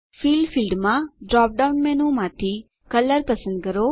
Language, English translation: Gujarati, In the Fill field, from the drop down menu, choose Color